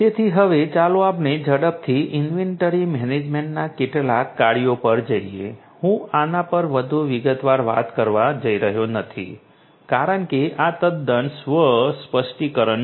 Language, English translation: Gujarati, So, now let us quickly go through some of the functions of inventory management I am not going to elaborate this because these are quite self explanatory